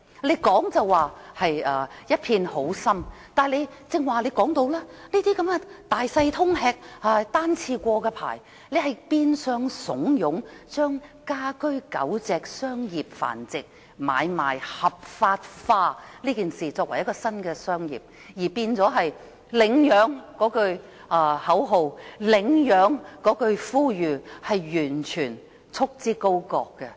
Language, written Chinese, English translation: Cantonese, 局方雖然一片好心，但推行的措施好像是"大小通吃"、單次許可證變相鼓勵住家狗隻商業繁殖買賣合法化，將此舉變為新的行業，以及將呼籲公眾領養狗隻的口號束之高閣。, While the intent of the Bureau is good the policy implemented seems to embrace everything . The one - off permit encourages in disguise commercial dog breeding at home turning it into a new legalized trade while disregarding the slogan to call upon the public to adopt dogs